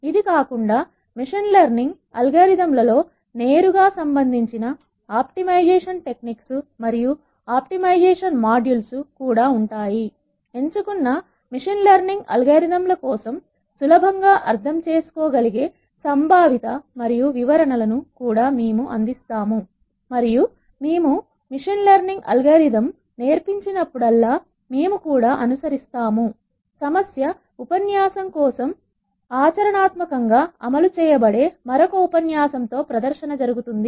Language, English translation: Telugu, Other than this will also have modules on optimization ideas and optimization that are directly relevant in machine learning algorithms, we will also provide conceptual and descriptions that are easy to understand for selected machine learning algorithms and whenever we teach a machine learning algorithm we will also follow it up with another lecture where the practical implementation of an algorithm for a problem statement is demonstrated and that demonstration would take place and we will use R as the programming platform